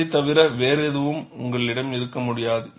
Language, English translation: Tamil, You cannot have anything other than that